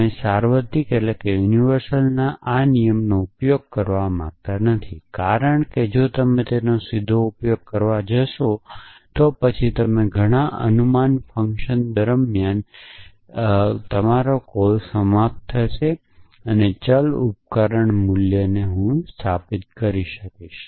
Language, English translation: Gujarati, You do not want to use this rule of universal because if you go to use it directly, then you would end up during lot of guess work as to what should I instantiate the values of the variable tool essentially